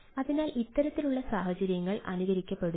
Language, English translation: Malayalam, right, so this type of scenarios are being emulated